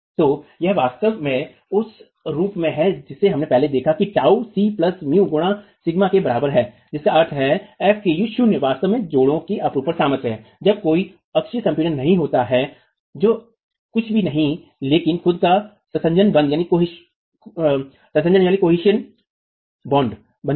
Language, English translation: Hindi, So this is really of the form that we have seen earlier, tau is equal to c plus mu into sigma, which means fv k not is really the shear strength of the joint when there is no axial compression, which is nothing but cohesion itself, the bond